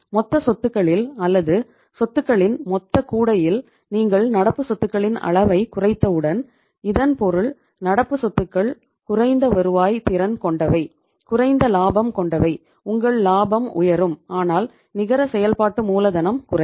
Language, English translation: Tamil, Once you have decreased the level of current assets in the total assets or in the total basket of the assets so it means current assets being less productive, less profitable your profit should go up but the net working capital will go down